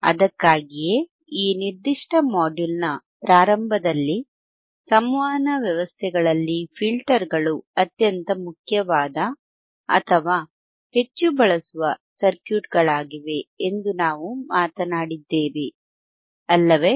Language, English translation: Kannada, That is why, at the starting of this particular filter session, we talked that filters are the most important or highly used circuits in the communication systems, right